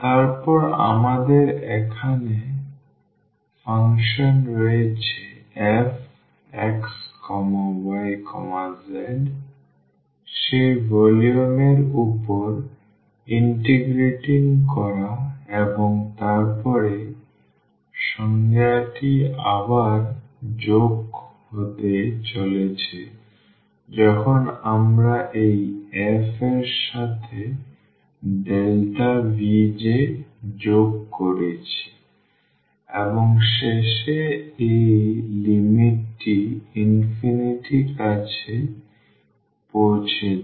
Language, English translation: Bengali, Then we have the function here f x y z integrating over that volume in space and then the definition is coming again from the sum when we have added this f with this delta V j and at the end taking this limit as n approaches to infinity